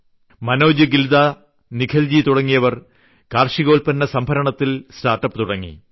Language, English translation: Malayalam, Manoj Gilda, Nikhilji have started agristorage startup